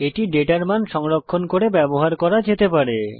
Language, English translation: Bengali, It may be used to store a data value